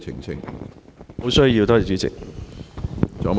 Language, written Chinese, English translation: Cantonese, 沒有需要，多謝主席。, No I dont . Thank you President